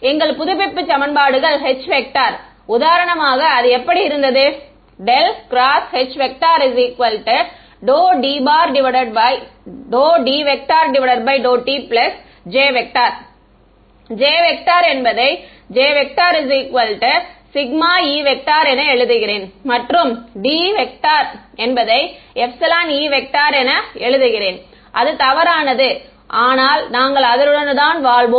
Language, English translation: Tamil, Our update equations for H for example, were right curl of H is d D by d t plus J, J I am writing as sigma E and d I am writing as epsilon E its inaccurate, but we will live with that